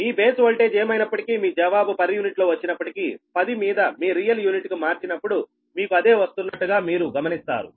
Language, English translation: Telugu, ah, whatever, whatever your base voltage, you say whatever answer you get in per unit or you will converted to real unit at the ten, you will see the same thing is coming right